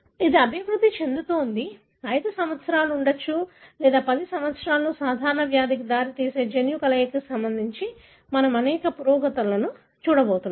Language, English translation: Telugu, This is developing, may be in 5 years, 10 years we are going to see several breakthroughs, with regard to what are the gene combination that results in common disease